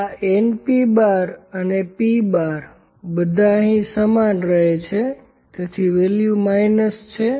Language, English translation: Gujarati, This n P and P bar would all remains same here, so the value is minus